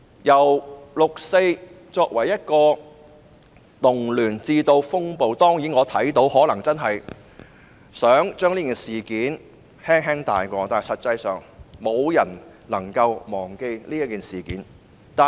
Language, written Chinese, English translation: Cantonese, 由六四被定性為動亂，乃至風暴，我看到政府可能想輕輕帶過這事件，但實際上沒有人能忘記這事件。, As 4 June was termed a riot and even a storm I can see that the Government may want to gloss over this event but in reality no one can forget it